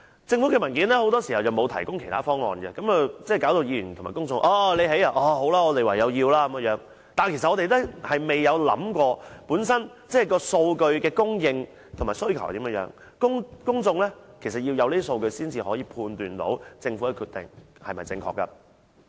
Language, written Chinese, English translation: Cantonese, 政府的文件很多時候沒有提供其他方案，令議員及公眾覺得，政府興建了就唯有接受，我們未能按數據顯示的供應及需求來考慮，其實要得到數據才可以判斷政府的決定是否正確。, The Government often does not provide other options in its papers so Members and the public have no choice but to accept the proposals . We cannot consider them with reference to the data on the supply and demand . Actually we need the data to assess whether the Governments decision is justified or not